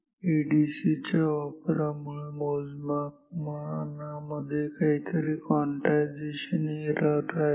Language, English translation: Marathi, Due to the use of the ADC there is some quantization error in the measurement